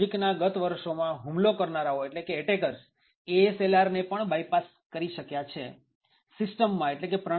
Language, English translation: Gujarati, So, in the recent years, attackers have been able to bypass ASLR as well